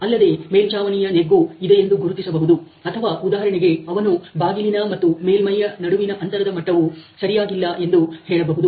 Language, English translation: Kannada, So, he will identify this as a roof dent or for example, if he says that the level difference here between the door and the body between door and body is improper